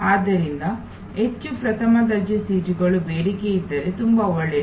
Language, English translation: Kannada, So, if there a more first class seats are in demand very good